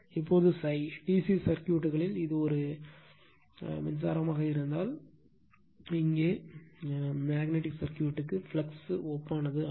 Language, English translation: Tamil, Now, phi actually in DC circuits say if it is a current, here analogous to magnetic circuit is a flux